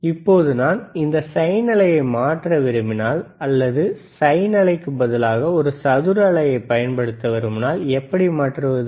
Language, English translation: Tamil, Now if I want to convert this sine wave, or if I want to apply a square wave instead of sine wave, then what is there